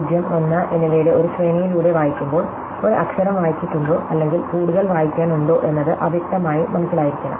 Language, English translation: Malayalam, When we read through a sequence of 0Õs and 1Õs, we should be unambiguously clear, whether we have read a letter or there is more to read